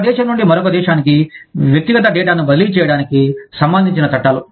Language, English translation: Telugu, Laws regarding, the transfer of personal data, from one country to another